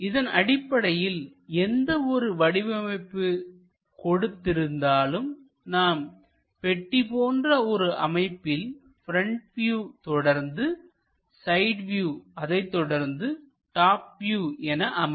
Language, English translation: Tamil, That means whatever might be the object if we have something like a box, a front view supported by a side view supported by a top view